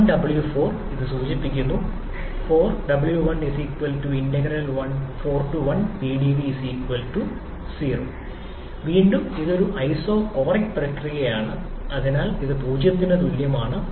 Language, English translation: Malayalam, Now w4 to 1 refers to integral 4 to 1 Pdv, again it is an isochoric process, so this is equal to 0 again